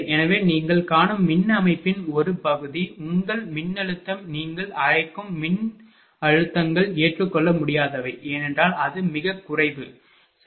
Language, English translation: Tamil, So, part of the power system you find, that your voltage your what you call voltages are unacceptable, because it is very low, right